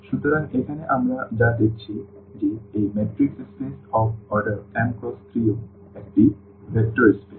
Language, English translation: Bengali, So, here what we have seen that this matrix spaces of order this m cross n is also a vector space